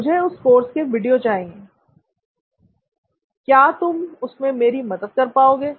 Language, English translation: Hindi, Hey, I need videos for that course, can you help me with that